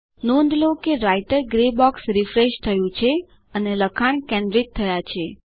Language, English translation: Gujarati, Press enter Notice the Writer gray box has refreshed and the contents are centered